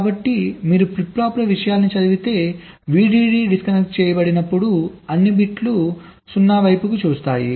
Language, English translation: Telugu, so if vdd is disconnected, if you read out the contents of the flip flops, all of the bits will be looking at zero